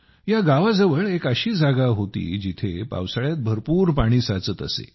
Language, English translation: Marathi, There was a place near the village where a lot of water used to accumulate during monsoon